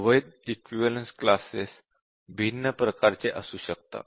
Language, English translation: Marathi, And, the invalid equivalence classes can be different types